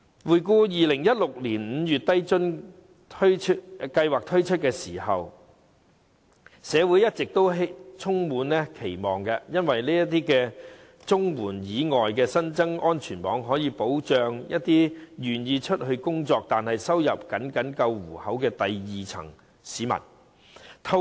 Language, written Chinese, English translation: Cantonese, 回顧2016年5月低津計劃推出時，社會一直充滿期望，因為這是綜援以外新增的安全網，可以保障一些願意工作，但收入僅夠糊口的第二低層市民。, Back then when the Scheme was introduced in May 2016 the community held great expectation on it for this is an additional safety net outside the Comprehensive Social Security Assistance CSSA Scheme